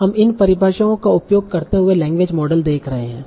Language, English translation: Hindi, So we will see language model using these definitions